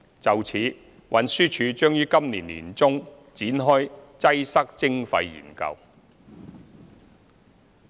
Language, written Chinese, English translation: Cantonese, 就此，運輸署將於今年年中展開"擠塞徵費"研究。, In this connection TD will launch a study on congestion charging in the middle of this year